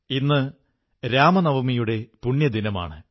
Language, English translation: Malayalam, Today is the holy day of Ram Navami